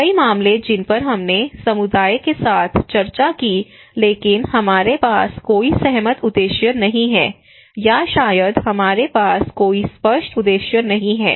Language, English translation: Hindi, Many cases that we discussed with the community but we do not have any agreed objectives, or maybe we do not have any clear objectives